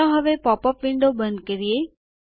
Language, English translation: Gujarati, Let us now Close the popup window